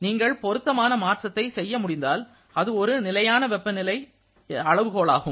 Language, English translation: Tamil, If you can make suitable conversion, then that is a perfectly consistent thermodynamic temperature scale